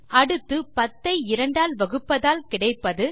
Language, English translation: Tamil, Next, 10 divided by 2 is just half of 10 which is 5